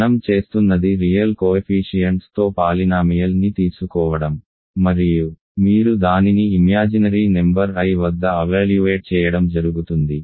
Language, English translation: Telugu, What we are doing is take a polynomial with real coefficients and you evaluate it at the imaginary number i